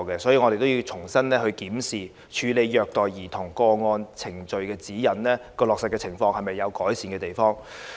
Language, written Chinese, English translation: Cantonese, 所以，我們要重新檢視《處理虐待兒童個案程序指引》的落實情況有否改善的地方。, Therefore we have to review anew the implementation of the Procedural Guide For Handling Child Abuse Cases and identify areas of improvement